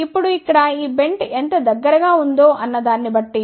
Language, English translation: Telugu, Now, here depending upon how close is this bent